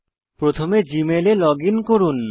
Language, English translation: Bengali, First, login to the Gmail account